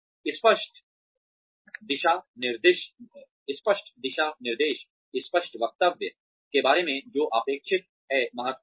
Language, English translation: Hindi, Clear cut guidelines, clear cut written down statements regarding, what is expected are important